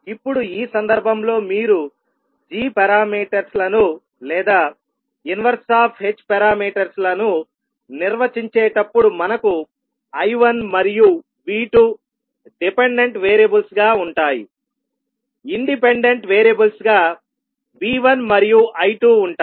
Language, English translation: Telugu, Now, in this case when you are defining the g parameters or you can say the inverse of h parameters, we will have the dependent variables as I1 and V2, independent variable will be V1 and I2